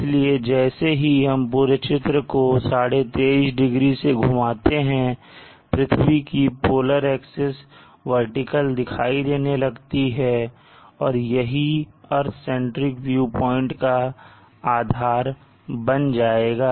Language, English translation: Hindi, So when we till the entire figure by 23 and half degrees you see that the polar ax for the earth appears vertical and this will become the base is for the earth centric view point